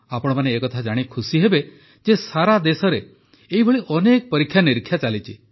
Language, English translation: Odia, You will be happy to know that many experiments of this kind are being done throughout the country